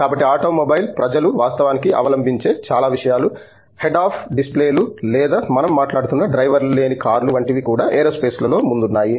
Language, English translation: Telugu, So, likewise lot of things that the automobile people actually adopt like, even things like head up displays or the driverless cars that we are talking about have been pioneered in aerospace